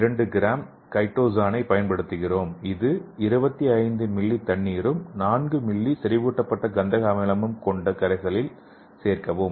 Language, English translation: Tamil, 2 gram of chitosan as the carbon source which was added to the solution containing 25 ml of water and 4 ml of concentrated sulphuric acid